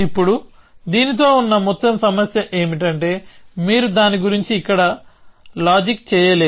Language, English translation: Telugu, Now, the whole problem with this is that you cannot reason about it here, you cannot reason about it here